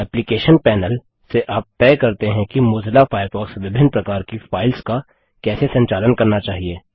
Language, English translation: Hindi, The Applications panel lets you decide how Mozilla Firefox should handle different types of files